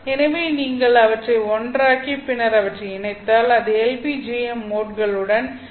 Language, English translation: Tamil, So if you put them together and then combine them, then you will end up with the LPJM modes